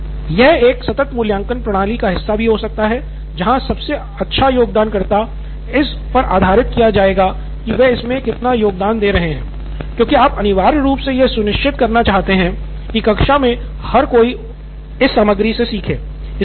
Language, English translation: Hindi, Or continuous evaluation system, you can bring this into the continuous evaluation system, so the best contributor are based on what how much you are contributing to this because you are essentially ensuring that everyone in class is learning out of this content